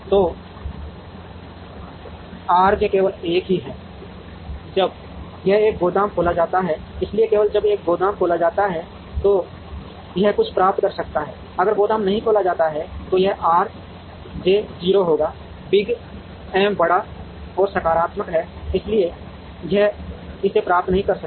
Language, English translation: Hindi, So, R j is 1 only when there is a warehouse that is opened here, so only when a warehouse is opened, it can receive something, if the warehouse is not opened then this R j will be 0, Big M is large and positive, therefore it cannot receive it